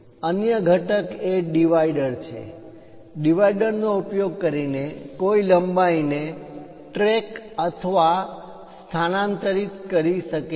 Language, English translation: Gujarati, The other one is divider, using divider, one can track and transfer lengths